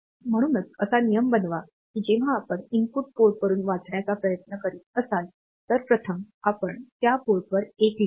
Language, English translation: Marathi, So, make it a rule that whenever you are trying to read from an input port, first you write a 1 at that port